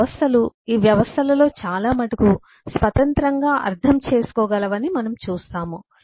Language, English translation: Telugu, we do see that eh, uh, this systems, many of this systems, can be independently understood